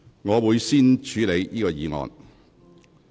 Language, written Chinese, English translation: Cantonese, 我會先處理這項議案。, I will deal with this motion first